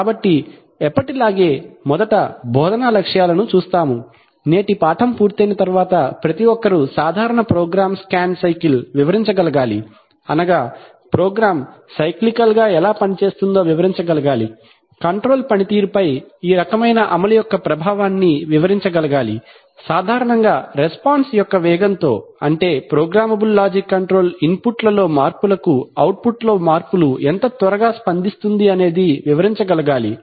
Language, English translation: Telugu, So as usual, we view the instructional objectives first after today's lesson one should be able to, describe a typical program scan cycle, that is, describe what takes place how the program works cyclically, would be able to explain the impact of this kind of execution on the control performance, typically on the fastness of response, that is how fast the programmable logic controller responds to changes in inputs with changes in output